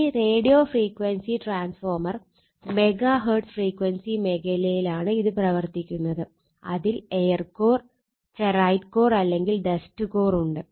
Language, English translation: Malayalam, Radio frequency transformer it is operating in the megaHertz frequency region have either and air core a ferrite core or a dust core